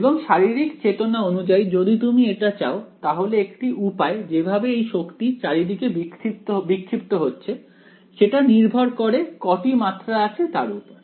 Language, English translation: Bengali, And as far as the physical intuition if you want for it then it is the way in which energy has to be distributed in multiple dimensions, which depends on how many dimensions there are